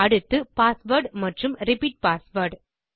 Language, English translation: Tamil, So pasword and repeat password